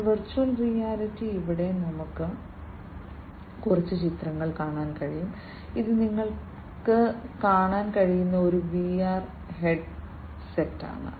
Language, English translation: Malayalam, So, virtual reality, you know, here we can see few pictures, this is a VR headset that you can see